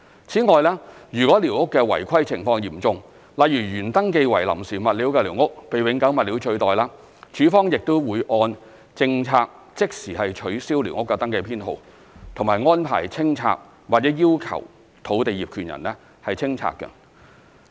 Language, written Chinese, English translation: Cantonese, 此外，如寮屋的違規情況嚴重，例如原登記為臨時物料的寮屋被永久物料取代，署方亦會按政策即時取消寮屋登記編號及安排清拆或要求土地業權人清拆。, In case of serious irregularities such as having the temporary building materials of a squatter as recorded in SCS replaced by permanent materials LandsD will in accordance with the policy immediately cancel the squatter survey number and arrange clearance of the squatter or request the landowner to demolish the squatter